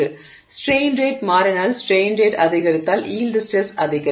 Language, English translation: Tamil, So, it means that if the strain rate changes, if the strain rate increases, the yield stress increases